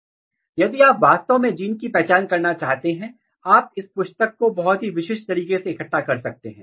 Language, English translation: Hindi, Now, if you want to really identify the genes, you can collect this tissue very specifically